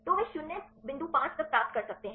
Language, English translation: Hindi, So, they can get up to 0